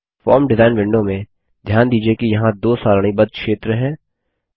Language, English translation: Hindi, In the form design window, notice that there are two tabular data sheet areas